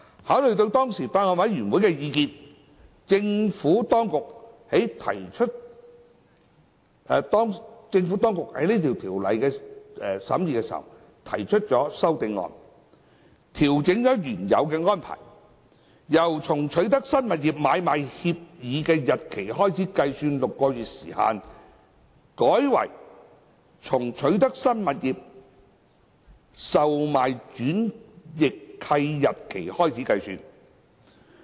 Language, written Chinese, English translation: Cantonese, 考慮到當時法案委員會的意見，政府當局在審議該法案時提出修正案，調整原有安排，由從取得新物業的買賣協議日期開始計算6個月時限，改為從取得新物業的售賣轉易契日期開始計算。, Taking into account the views of the then Bills Committee the Administration revised the original arrangement by moving Committee stage amendments CSAs to adjust the six - month time limit to commence from the date of conveyance on sale instead of the agreement for sale and purchase of the newly acquired property